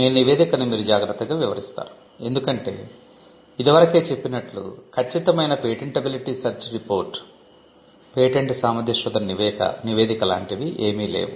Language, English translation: Telugu, You always cautiously describe your report, because you as we said there is no such thing as a perfect patentability search report